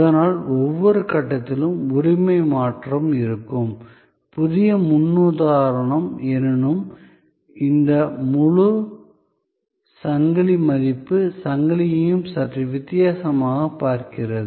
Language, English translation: Tamil, But, at every stage there will be a change of ownership, the new paradigm however looks at this whole issue of value chain a little differently